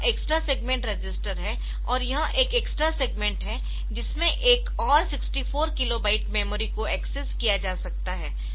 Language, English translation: Hindi, So, this extra segment register is there and again so this an extra segment in which another 64 kilo byte of memory can be accessed